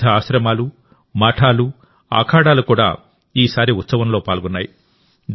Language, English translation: Telugu, Various ashrams, mutths and akhadas were also included in the festival this time